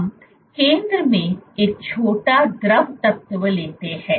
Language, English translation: Hindi, Let us take a small fluid element in the center